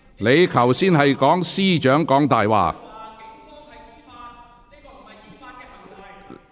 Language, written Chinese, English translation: Cantonese, 你剛才指控司長"講大話"。, Just now you accused the Chief Executive of lying